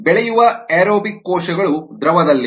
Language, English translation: Kannada, aerobic cells in culture are in the liquid